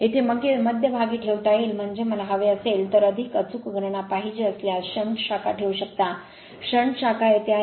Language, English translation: Marathi, You can put it middle here, I mean if you want if you want more accurate calculation then you can put you can put the shunt branch is here, shunt branch is here